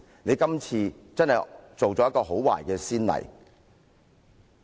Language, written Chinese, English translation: Cantonese, 你今次真的立下很壞的先例。, You really set a very bad precedent this time